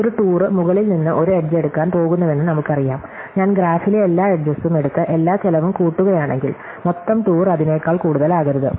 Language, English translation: Malayalam, Well, we know that a tour is going to take edges from the top, if I take all the edges in the graph and add up all the cost, the total tour cannot be more than that